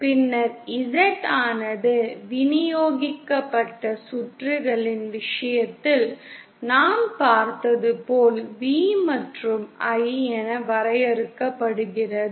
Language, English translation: Tamil, Then Z also is defined as V and I as we saw in the case of distributed circuits